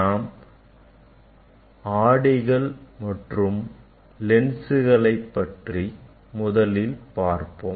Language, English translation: Tamil, Let us start with the mirror and lenses